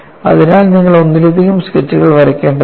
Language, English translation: Malayalam, So, you need to make multiple sketches